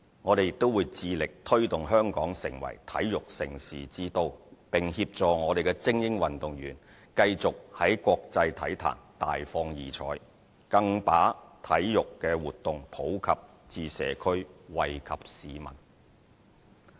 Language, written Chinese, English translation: Cantonese, 我們亦會致力推動香港成為體育盛事之都，並協助我們的精英運動員繼續在國際體壇大放異采，更把體育活動普及至社區，惠及市民。, We are also committed to developing Hong Kong as a prime destination for hosting major international sports events supporting our elite athletes to achieve outstanding results in the international sports arena and popularizing sports in the community for the benefit of the public